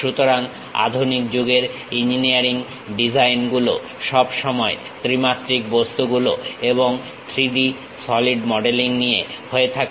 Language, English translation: Bengali, So, the modern days engineering designs always involves three dimensional objects and 3D solid modelling